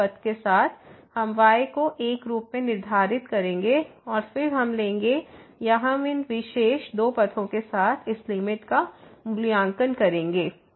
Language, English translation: Hindi, So, along this path we will fix as 1 and then, we will take or we will evaluate this limit along these two particular paths